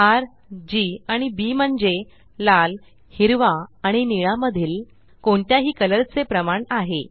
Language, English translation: Marathi, R,G and B stands for the proportion of red, green and blue in any color